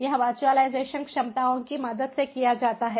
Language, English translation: Hindi, it is done with the help of the virtualization capabilities